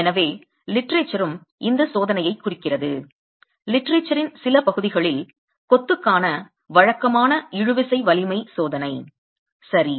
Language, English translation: Tamil, So the literature also refers to this test in some parts of the literature as conventional tensile strength test of masonry